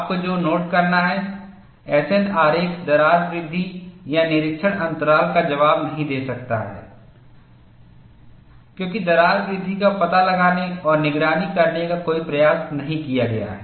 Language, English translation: Hindi, What you have to note is the S N diagram cannot provide answers to crack growth or inspection intervals, as no attempt is made to detect and monitor crack growth